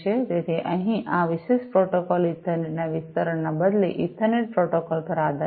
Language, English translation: Gujarati, So, here this particular protocol is based on the Ethernet protocol; rather it is an extension of the Ethernet